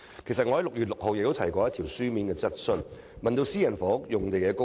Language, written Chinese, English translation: Cantonese, 我在6月6日的會議曾提出書面質詢，問及私人房屋用地的供應。, I have raised a written question on the supply of sites for private housing at the Council meeting of 6 June